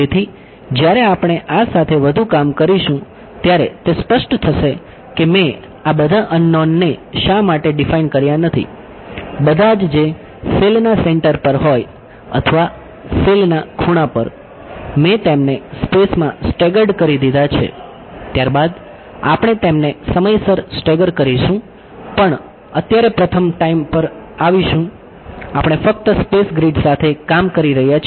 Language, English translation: Gujarati, So, it will as we work more with this it will become clear why I did not define all of these unknowns all at the centre of the cell or all at the corner of the cell; I have staggered them out in space, later on we will also stagger them in time, but will come to time first right now we are just dealing with the space grid